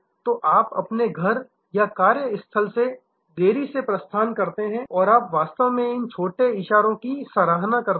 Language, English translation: Hindi, So, you delay the departure from your home or work place and you really appreciate these little gestures